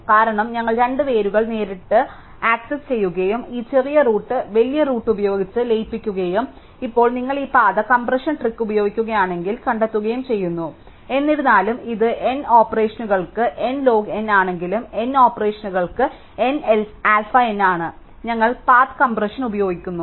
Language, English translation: Malayalam, Because, we just directly access the two roots and merge this smaller root with the bigger root and find now if you use this path compression trick, although and principle it is n log n for n operations, it is n alpha n for n operations if we use path compression